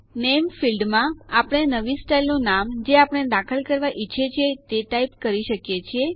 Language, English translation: Gujarati, In the Name field we can type the name of the new style we wish to insert